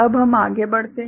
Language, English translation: Hindi, Now, let us move forward